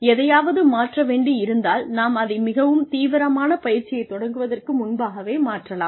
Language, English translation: Tamil, If anything needs to be changed, we can change it, before we actually start investing in this, very heavy duty training program